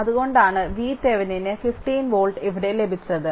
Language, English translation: Malayalam, So, that is why, V Thevenin we got your 15 volt here